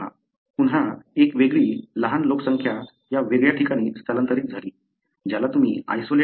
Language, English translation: Marathi, Again, a different, small population migrated to this ata different place, which you call as isolate 2